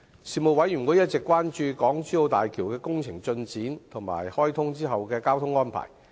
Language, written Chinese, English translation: Cantonese, 事務委員會一直關注港珠澳大橋的工程進展及開通後的交通安排。, The Panel has been concerned about the progress of the Hong Kong - Zhuhai - Macao Bridge HZMB project and the transport arrangements after its commissioning